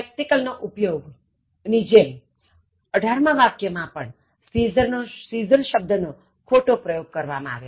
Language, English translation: Gujarati, Similar to the use of spectacle, here the word scissor, is used wrongly